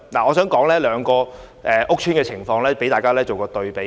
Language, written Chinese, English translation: Cantonese, 我想引用兩個屋邨的情況供大家作一對比。, I would like to draw a comparison between the situations in two housing estates